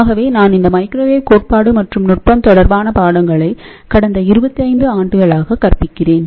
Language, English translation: Tamil, So, this microwave theory and technique related course; I have been teaching for last 25 years